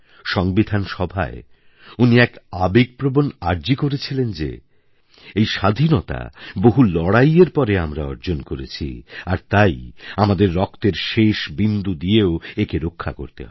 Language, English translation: Bengali, He had made a very moving appeal in the Constituent Assembly that we have to safeguard our hard fought democracy till the last drop of our blood